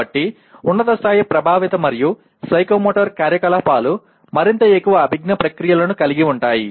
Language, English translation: Telugu, So higher level, affective and psychomotor activities will involve more and more cognitive processes